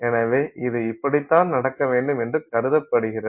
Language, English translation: Tamil, So, this is how it is supposed to happen